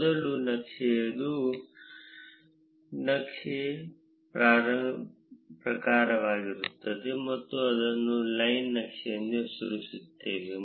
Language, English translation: Kannada, The first one would be the type of the chart; you name it as a line chart